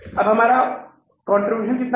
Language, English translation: Hindi, How much contribution we have now